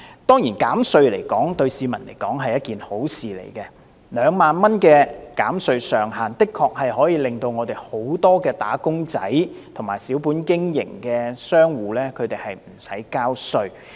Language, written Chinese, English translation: Cantonese, 當然，減稅對市民來說，是一件好事 ，2 萬元的減稅上限，的確可以讓很多"打工仔"和小本經營的商戶無須交稅。, A tax cut is of course a nice proposal to the public . With the cap of tax concessions at 20,000 it is true that many employees and small business operators will not need to pay tax